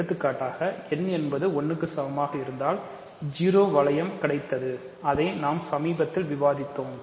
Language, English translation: Tamil, For example, if n equal to 1 you get the 0 ring that I discussed earlier right